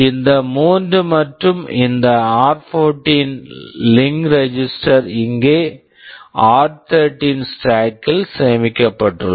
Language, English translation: Tamil, These three and also this r14 link register are stored in r13 stack here